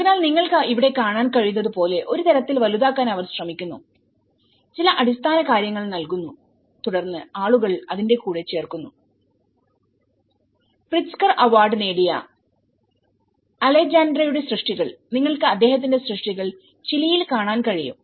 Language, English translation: Malayalam, So, they try to make in a kind of bigger like what you can see here, is you provide some basic things and then people add on to it you know like here the Alejandro’s work which has been in Pritzker award and you can see his work in Chile